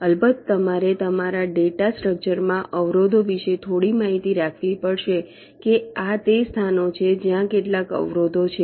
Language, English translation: Gujarati, of course you have to keep some information about the obstacles in your data structure, that these are the places where some obstacles are there